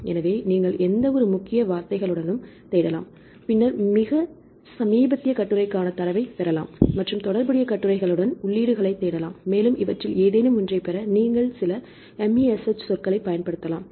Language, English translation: Tamil, So, you can search with the any keywords, then get data for the very latest article right and search with the related entries to give the articles which are relevant to the related articles, and also you can use some MeSH terms to get any of these articles